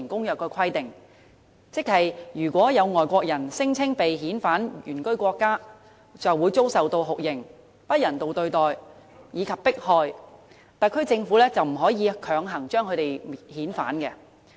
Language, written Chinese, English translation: Cantonese, 如果有外國人聲稱被遣返原居國家便會遭受酷刑、不人道對待，以及迫害，特區政府便不可以強行將他們遣返。, The SAR Government cannot repatriate a foreigner who claims that if he is sent back to his original country of abode he will be subjected to torture inhuman treatment and persecution